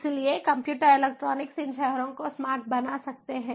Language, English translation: Hindi, so computers, electronics put together can make these cities smart